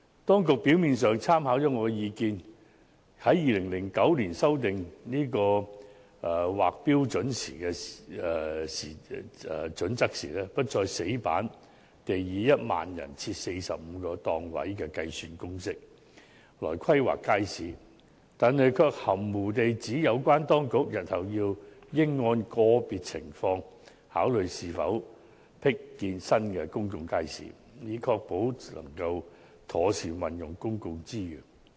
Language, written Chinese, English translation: Cantonese, 當局表面上參考了我的建議，於2009年修訂《規劃標準》時，不再死板地以每1萬人設45個檔位的計算公式來規劃街市，但卻含糊地指"日後應按個別情況考慮是否闢建新公眾街市，以確保妥善運用公共資源"。, On the face of it the authorities did take into account my proposals in that when they revised HKPSG in 2009 they no longer required the planning of markets to follow the rigid formula of 45 stalls for 10 000 people . But then again they stipulated vaguely that the future provision of new public markets should be considered on a case - by - case basis to ensure the efficient use of public resources